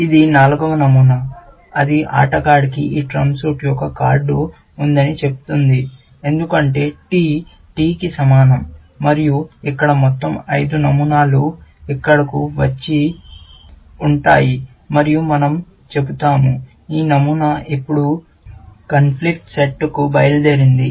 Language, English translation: Telugu, This is the fourth pattern, which says that the player has a card of this trump suit, because T equal to T, and here, all the five patterns will come and sit here, and we will say, this rule is now, gone to the conflict set